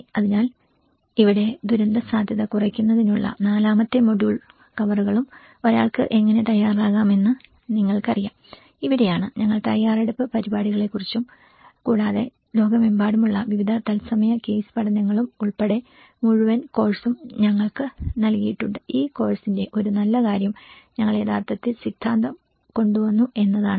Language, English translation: Malayalam, So here the fourth module covers of disaster risk reduction and the pre disaster planning you know how one can prepare, this is where we talked about the preparedness programs and also we are given various live case studies across the globe and a whole course, a good thing about this course is we actually brought the theory